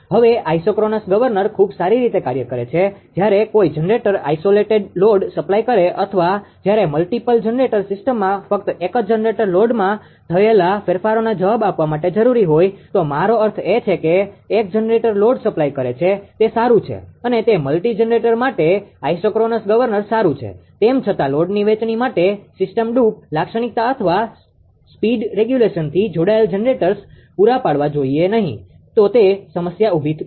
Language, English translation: Gujarati, Now an isochronous governor works very well when a generator is supplying an isolated load or when only generator one generator in a multiple ah multi generator system is required to relly respond to changes in the load, I mean one generator supplying load, it is fine; for ah it is fine for your multi generator your ah isochronous governor ; however, for load sharing between generators connected to the system droop characteristic or speed regulation must be provided, right, otherwise, it will create problem, right